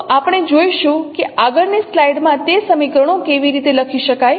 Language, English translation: Gujarati, So we will see how those equations can be written in the next slides